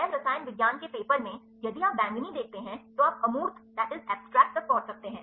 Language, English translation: Hindi, So, in the bio chemistry paper, if you see the purple you can access the abstract